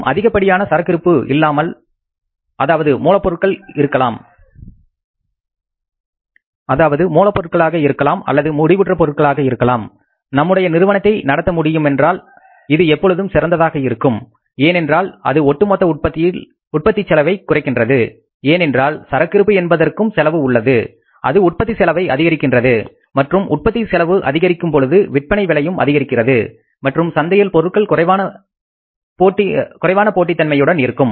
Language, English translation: Tamil, So, we have to make sure that there is no shortage of the material in the plant or at the say production unit level and if it is possible to run the show without keeping the large amount of inventory, maybe of the raw material or of the finished products, then it is always better because it reduces the overall cost of production because inventory in any way has the cost, it increases the cost of production and if the cost of production goes up, finally the selling price will increase and the product remains less competitive in the market